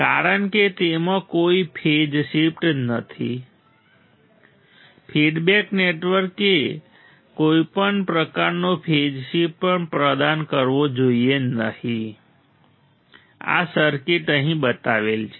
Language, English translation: Gujarati, So, no need of phase shift through the feedback network Since it has no phase shift; the feedback network should not also provide any kind of phase shift this circuit is shown here